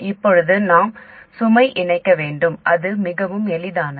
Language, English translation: Tamil, Now we have to connect the load and that is very easy